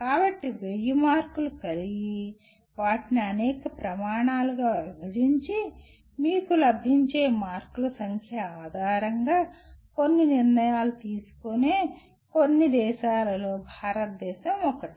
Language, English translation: Telugu, So possibly India is one of the few countries which goes for this kind of a marking system of having 1000 marks, dividing them into several criteria and based on the number of marks that you get there is some decisions get taken